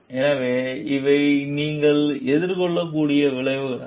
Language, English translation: Tamil, So, these could be the consequences that you may face